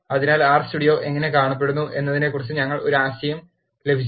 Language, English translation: Malayalam, So, we have got an idea about how R Studio looks